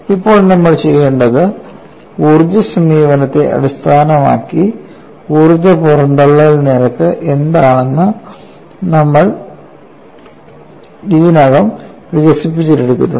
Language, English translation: Malayalam, Now, what we will have to do is, we have already developed what is energy release rate based on the energy approach